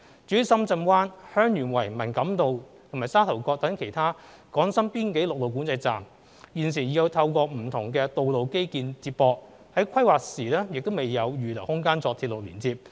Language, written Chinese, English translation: Cantonese, 至於深圳灣、香園圍、文錦渡和沙頭角等其他港深邊境陸路管制站，現時已透過不同道路基建接駁，在規劃時亦未有預留空間作鐵路連接。, As for other land boundary control points between Hong Kong and Shenzhen including those of Shenzhen Bay Heung Yuen Wai Man Kam To and Sha Tau Kok they are currently connected via different road infrastructures with no space reserved for railway connection during planning